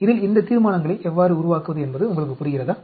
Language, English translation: Tamil, Do you understand how to build up these resolutions in this, ok